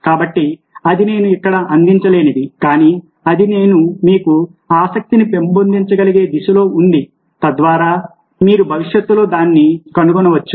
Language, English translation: Telugu, so that is something which i cannot provide here, but that is something in the direction of which i can develop your interest so that you can pursue it in the future